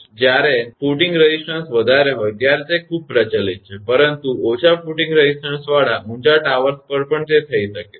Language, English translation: Gujarati, So, it is most prevalent when footings resistances are high, but can also occur on tall towers with low footing resistance